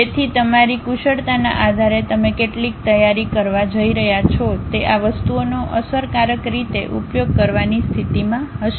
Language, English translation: Gujarati, So, based on your expertise how much you are going to prepare you will be in a position to effectively use these things